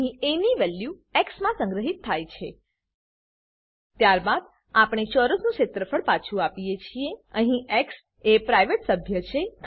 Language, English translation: Gujarati, Here the value of a is stored in x Then we return the area of the square Here x is a private member